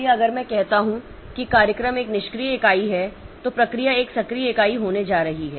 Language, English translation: Hindi, So, if I say that the program is a passive entity, process is going to be an active entity